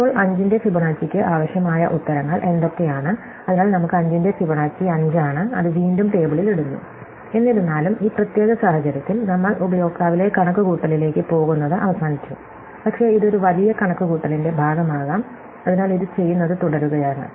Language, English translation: Malayalam, And now, we have both the answers that we need for Fibonacci of 5 and so we get Fibonacci of 5 is 5 and again, we put it in the table, although in this particular case, we are not going to use it as the computation is over, but it could be part of a bigger computations, so we just keep doing this